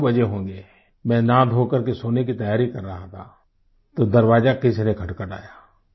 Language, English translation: Hindi, It was around 2, when I, after having showered and freshened up was preparing to sleep, when I heard a knock on the door